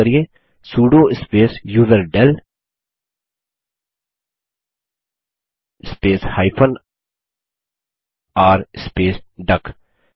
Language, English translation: Hindi, Here type sudo space userdel space r space duck